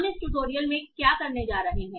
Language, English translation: Hindi, So what are we going to do in this tutorial